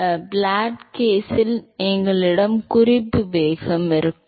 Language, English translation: Tamil, So, in the flat plate case, we always had a reference velocity